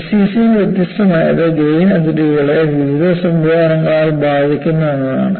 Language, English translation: Malayalam, So, what is distinct in SCC is, grain boundaries are affected by various mechanisms